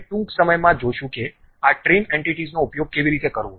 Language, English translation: Gujarati, We will shortly see how to use these trim entities